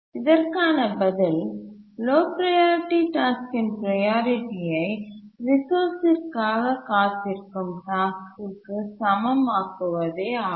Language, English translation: Tamil, The answer is that make the priority of the low priority task as much as the task that is waiting for the resource